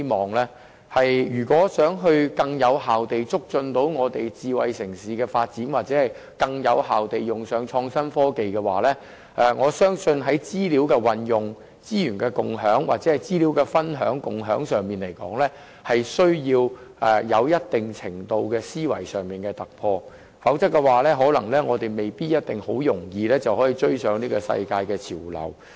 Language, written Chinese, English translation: Cantonese, 我相信如想更有效地促進智慧城市的發展或更有效地使用創新科技，在資料運用、資源共享或資料分享和共享方面的思維需要有一定程度的突破，否則我們未必可輕易追上世界潮流。, I believe if we wish to promote the development of a smart city more effectively or achieve more effective use of innovation and technology we need some breakthroughs in thinking about the use of information the sharing of resources or the sharing of information or else we may not be able to catch up with the global trend easily